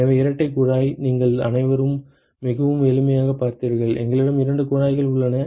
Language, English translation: Tamil, So, double pipe: all of you have seen very simple, we just have two pipes